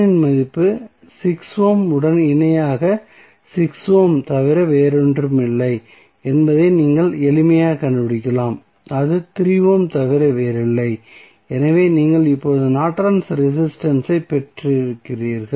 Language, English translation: Tamil, So, you can simply find out the value of R N is nothing but 6 ohm in parallel with 6 ohm that is nothing but 3 ohm so you got now Norton's resistance